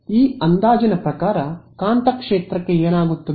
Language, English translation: Kannada, Under this approximation, what happens to the magnetic field